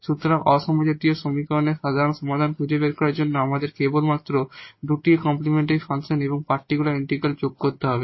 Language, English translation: Bengali, So, to find out the general solution of the non homogeneous equation we have to just add the two the complimentary function and the particular integral which we have learned in many situations